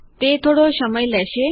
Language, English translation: Gujarati, Its going to take a while